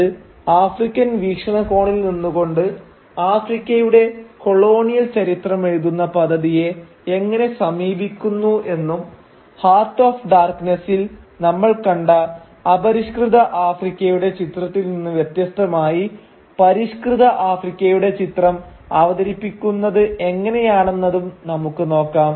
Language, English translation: Malayalam, Now let us turn to the novel Things Fall Apart and see how it approaches the project of writing the colonial history of Africa from an African perspective and how it presents an image of a civilised Africa in contrast with the image of an uncivilised Africa that we have already encountered in the British novel Heart of Darkness